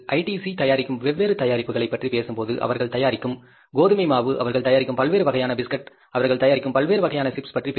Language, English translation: Tamil, When the ITC manufactures as different products, you talk about the wheat flow they are manufacturing, different types of biscuits they are manufacturing, different types of chips they are manufacturing